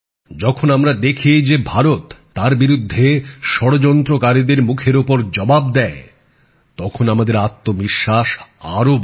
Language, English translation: Bengali, When we witness that now India gives a befitting reply to those who conspire against us, then our confidence soars